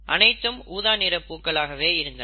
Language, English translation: Tamil, In other words, this would result in purple flowers